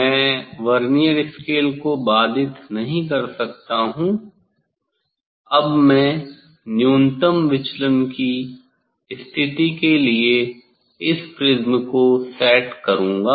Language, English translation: Hindi, I cannot disrupt the Vernier scale Now I will set this prism for minimum deviation position